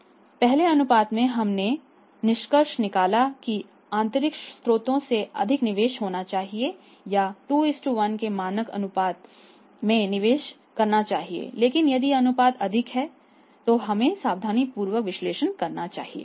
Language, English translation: Hindi, So, first case more investment from the internal sources and or maybe it is a compatible investment from the internal and external sources standard ratio is 2:1 but the ratio is higher that we should be carefully analysing it